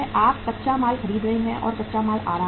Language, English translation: Hindi, You are buying raw material or raw material is coming